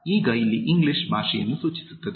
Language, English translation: Kannada, Now, English here refers to the language